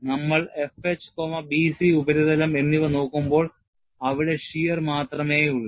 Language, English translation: Malayalam, When we are going to look at the surface F H and B C, you are having only shear